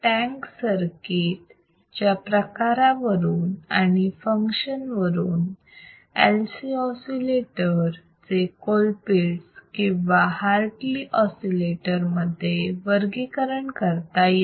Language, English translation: Marathi, Depending on type of tank circuit and function uses, the LC oscillators are classified as Colpitt’s or Hartley oscillator